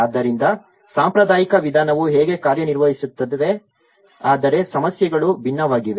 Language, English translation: Kannada, So this is how the traditional approach works but the problems are different